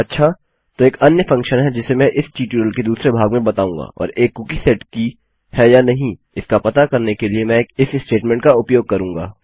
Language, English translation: Hindi, Okay now there is another function which I will cover in the second part of this tutorial and Ill use an if statement to find out if a cookie is set or not